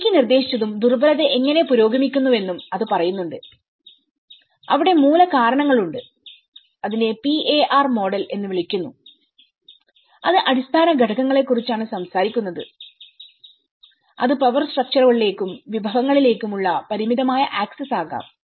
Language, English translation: Malayalam, Proposed by Blaikie and it says how the vulnerability progresses we have the root causes it is called the PAR model, it talks about the underlying factors, it could be the limited access to power structures, resources, so you have the gold reserves, it doesn’t mean you are rich nation